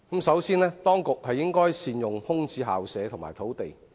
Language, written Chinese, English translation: Cantonese, 首先，當局應善用空置校舍和土地。, First of all the authorities should make proper use of vacant school premises and land sites